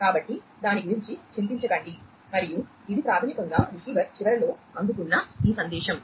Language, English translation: Telugu, And so let us not worry about it and this is basically this message that is received at the receiver end